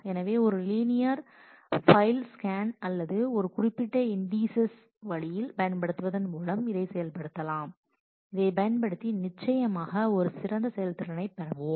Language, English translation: Tamil, So, we can implement this using a linear file scan or by using indices in a certain way using indices we will certainly have a better performance